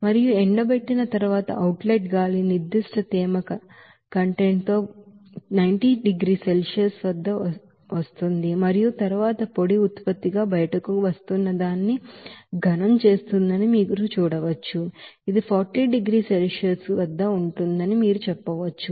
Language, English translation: Telugu, And after drying you will see that outlet air will be coming at 90 degree Celsius with a certain moisture content and then solid whatever it is coming out as a dry product you can say that it will be at 40 degrees Celsius